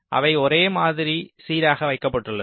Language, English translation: Tamil, ok, they are uniformly placed